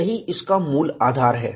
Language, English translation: Hindi, That forms a basis